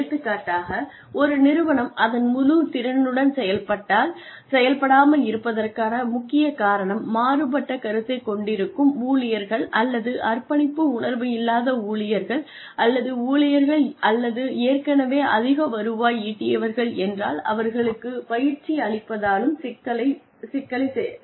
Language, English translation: Tamil, If, for example, if a major reason for the organization, not performing up to its full potential, is deviant employees, or uncommitted employees, or employees, who are, or maybe a high turnover, then training may not solve the problem